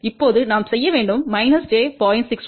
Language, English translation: Tamil, 1 we need to add plus j 1